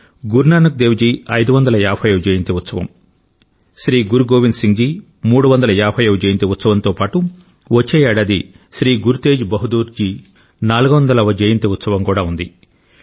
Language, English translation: Telugu, 550th Prakash Parva of Guru Nanak Dev ji, 350th Prakash Parv of Shri Guru Govind Singh ji, next year we will have 400th Prakash Parv of Shri Guru Teg Bahadur ji too